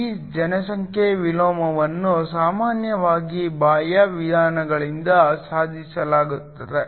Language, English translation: Kannada, This population inversion is usually achieved by external means